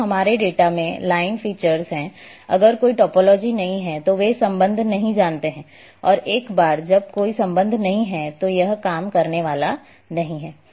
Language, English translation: Hindi, If we are having line features in our data, if there is no topology then they do not know the relationship and once there is no relationship then it is not going to work